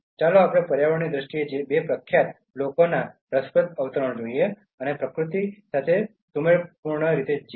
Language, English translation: Gujarati, Let us look at two interesting quotes from two eminent people in terms of environment and living harmoniously with nature